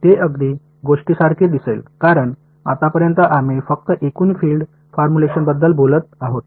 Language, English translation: Marathi, This will look like a very obvious thing because so far we have been only talking about total field formulation